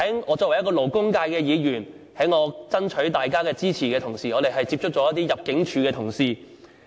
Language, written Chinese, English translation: Cantonese, 我是勞工界議員，在爭取大家支持的時候，接觸過一些入境處同事。, I am a Member representing the labour sector . I have contacted certain ImmD staff in the course of seeking support from the sector